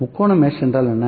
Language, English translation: Tamil, What is triangle mesh